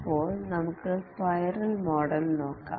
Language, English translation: Malayalam, Now let's look at the spiral model